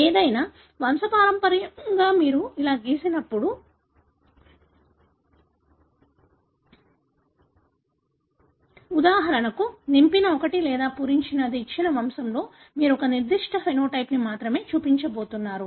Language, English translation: Telugu, So, in any pedigree when you draw like this, when you have for example, the filled one or unfilled one, in a given pedigree you are going to show only one particular phenotype